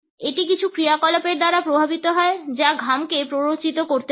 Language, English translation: Bengali, It is also influenced by certain activities which may be sweat inducing